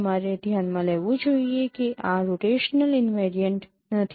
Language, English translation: Gujarati, You should note that this is not rotational invariant